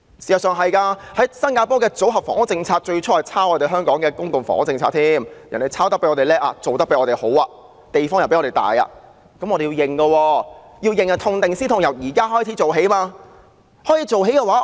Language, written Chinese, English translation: Cantonese, 事實上，新加坡的組屋政策最初也抄襲香港的公共房屋政策，但我們不得不承認的是，人家青出於藍，做得比我們更好，所提供的公共房屋比我們的寬敞。, In fact Singapores housing policy of building Housing and Development Board flats was initially copied from the public housing policy of Hong Kong . But they have undeniably surpassed us by doing a better job and offering public housing units that are more spacious than ours